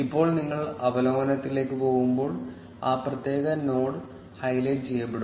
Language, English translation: Malayalam, Now when you go to the overview, that particular node will be highlighted